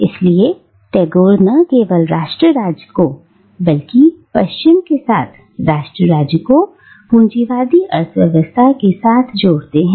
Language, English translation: Hindi, Therefore, Tagore not only connects nation state with the capitalist mode of economy but also with the West